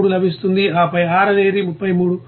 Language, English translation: Telugu, 33 we are getting A is 133